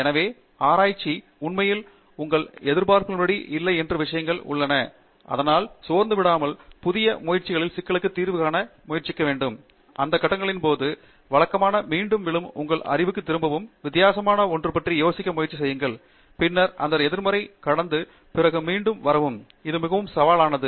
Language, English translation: Tamil, So, research, somewhere you will find that there are things which actually are not according to your expectations and that is where the what I found is, some of the students who can actually pass that, during those phases to fall back on routine, to fall back on your knowledge, and try to think of something different, and then pass through that negative and then come up again, so that’s the big spirit, that is where it is very, very challenging